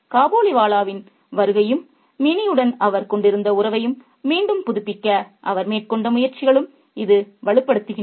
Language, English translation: Tamil, And this is reinforced by the arrival of Khabliwala and his attempts to kind of rekindle the relationship that he had with Minnie